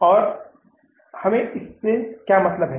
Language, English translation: Hindi, What does it mean now